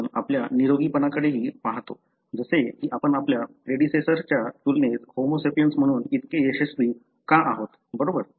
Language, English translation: Marathi, We also look at the wellness like why you are so successful as Homo sapiens as compared to our predecessors, right